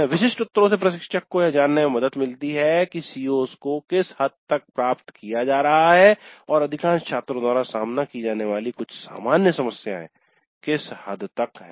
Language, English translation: Hindi, So the specific answers would help the instructor to know to what extent the COs are being attained and to what extent there are some common problems faced by majority of the students